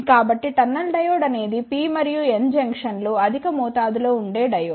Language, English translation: Telugu, So, the tunnel diode is a diode where the P and N junctions are highly doped